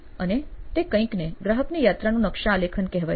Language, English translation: Gujarati, And is something called customer journey mapping